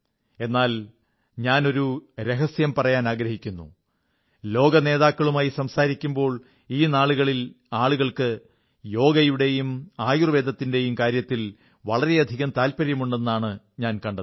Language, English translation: Malayalam, I would like to share a secret today I've observed that during deliberations between world leaders; a lot of interest is evinced in Yog and Ayurved